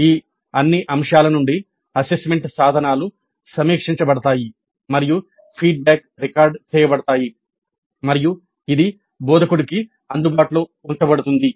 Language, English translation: Telugu, From all these aspects the assessment instruments are reviewed and the feedback is recorded and is made available to the instructor